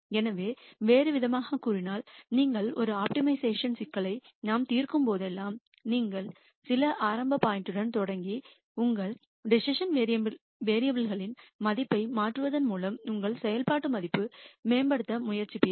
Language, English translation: Tamil, So, in other words whenever you solve an optimization problem as we will see later, you will start with some initial point and try to keep improving your function value by changing the value of your decision variable